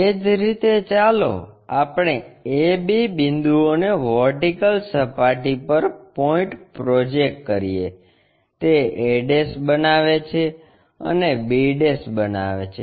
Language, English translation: Gujarati, Similarly, let us project A B points on 2 vertical plane, it makes a' and makes b'